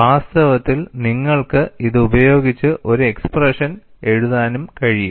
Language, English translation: Malayalam, In fact, you could invoke that and write an expression